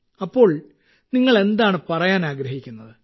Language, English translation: Malayalam, What would you like to say